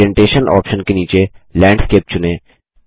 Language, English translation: Hindi, Under the Orientation option, let us select Landscape